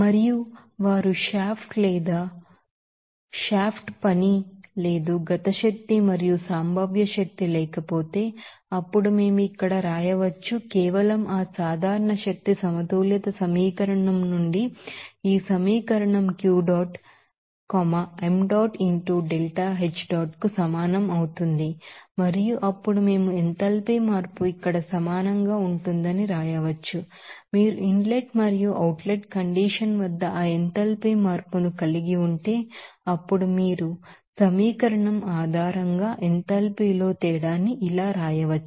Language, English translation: Telugu, And they saw if there is no shaft work no kinetic and potential energy then we can write here, simply this equation from that general energy balance equation that is Q dot will be equal to m dot into delta H dot and then we can write that enthalpy change will equal to here, if you are having that enthalpy change at inlet and outlet condition then you can simply write that a difference in the enthalpy based on this equation